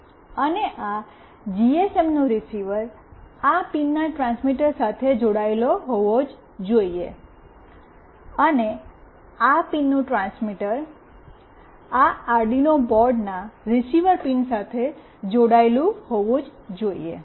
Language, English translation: Gujarati, And the receiver of this GSM must be connected the transmitter of this pin, and the transmitter of this pin must be connected with the receiver pin of this Arduino board